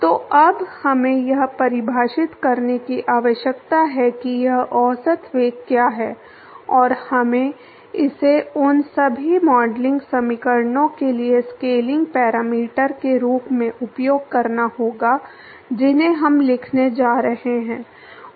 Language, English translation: Hindi, So, now, we need to define what is this average velocity and we have to use that as a scaling parameter for all the modeling equations that we going to write